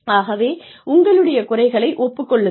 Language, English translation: Tamil, So, admit your own limitations